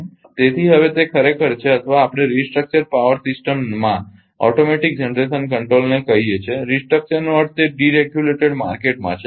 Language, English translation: Gujarati, So, now that is actually or we call automatic generation control in a restructured power system restructure means in that deregulated market